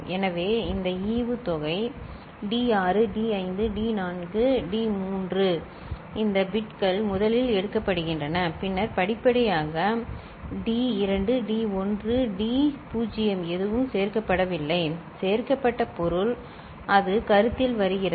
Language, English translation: Tamil, So, this dividend D6 D5 D4 D3 these bits are taken first, right and then gradually D2 D1 D naught are added; added means it comes into the consideration